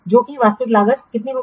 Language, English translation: Hindi, So, today this is actual value